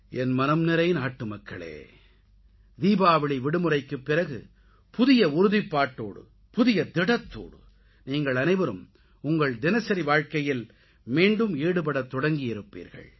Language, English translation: Tamil, My dear countrymen, you must've returned to your respective routines after the Diwali vacation, with a new resolve, with a new determination